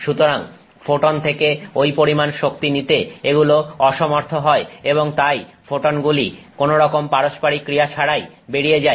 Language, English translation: Bengali, So, it is unable to pick up that energy from the photon and then the photon just passes on without interaction